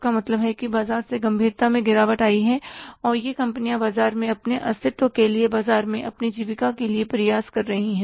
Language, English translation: Hindi, Means the sales are seriously declined and these companies are striving for their sustenance in the market for their existence in the market